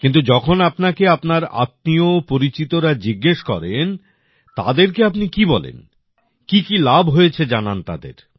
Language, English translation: Bengali, But when all your relatives and acquaintances ask you, what do you tell them, what have the benefits been